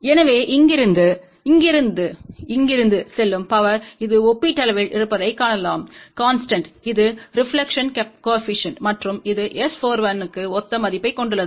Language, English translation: Tamil, So, the power going from here to here and here to here you can see that it is relatively constant, and this is the reflection coefficient and which has a similar value for S